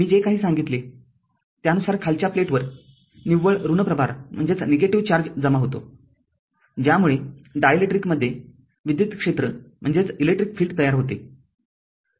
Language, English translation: Marathi, Whatever I told hence the lower plate accumulates a net charge your negative charge that produce an electrical field in the dielectric